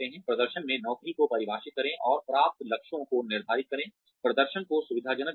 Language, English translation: Hindi, Define the job in performance, and set achievable goals, facilitate performance